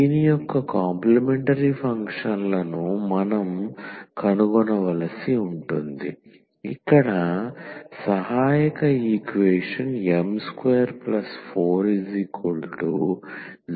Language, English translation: Telugu, So, we have to find the complementary functions of this where the auxiliary equation will be m square here plus 4 is equal to 0